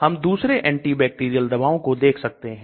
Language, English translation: Hindi, Then other antibacterial drugs we can see